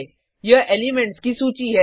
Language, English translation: Hindi, Array: It is a list of elements